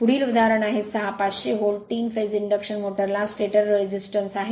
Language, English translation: Marathi, Next is example 6; a 500 volt, 3 phase induction motor has a stator impedance of this much